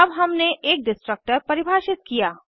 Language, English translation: Hindi, Now we have defined a Destructor